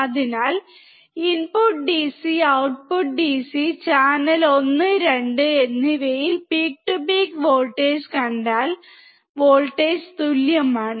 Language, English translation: Malayalam, So, if you see the peak to peak voltage at the input and output DC channel 1 and 2, voltage is same